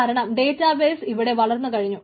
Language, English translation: Malayalam, ah, because this database has grown